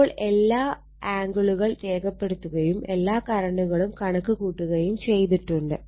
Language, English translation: Malayalam, So, all the angles are marked and your current are also computed, right